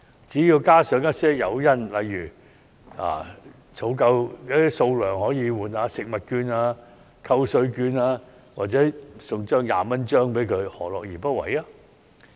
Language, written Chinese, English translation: Cantonese, 只要加上一些誘因，例如儲夠某數量便可以換領食物券、扣稅券或一張20元紙幣，何樂而不為？, If additional incentives are provided―such as food coupons tax deduction coupons or a 20 banknote in exchange for a certain amount of recyclables―they would only be more than happy to do so!